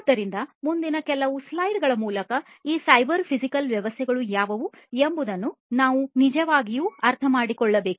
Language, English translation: Kannada, So, we need to understand really what these cyber physical systems are through the next few slides